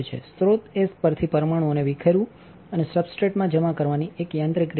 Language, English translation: Gujarati, Sputtering is a mechanical way of dislodging the atoms from the source and depositing on to the substrate